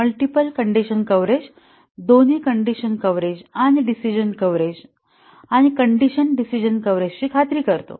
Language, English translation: Marathi, The multiple condition coverage ensures both condition coverage and the decision coverage and also the condition decision coverage